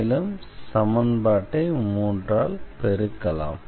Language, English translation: Tamil, Indeed, we have multiplied by the equation this by 3 here